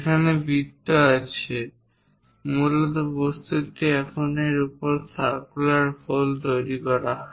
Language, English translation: Bengali, The main object is this on which these circular holes are created